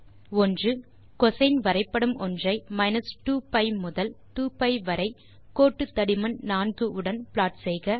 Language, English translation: Tamil, Draw a plot of cosine graph between 2pi to 2pi with line thickness 4